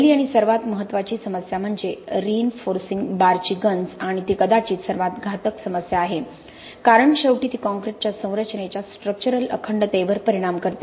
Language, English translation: Marathi, The first and foremost issue is the corrosion of reinforcing bars and that is probably the most deleterious problem because ultimately it effects the structural integrity of the concrete structure